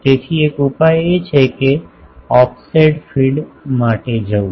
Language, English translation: Gujarati, So, one solution is to go for an offset feed